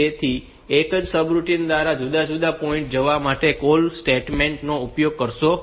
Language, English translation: Gujarati, So, do not use a call statement to jump into different points of the same subroutine; so ok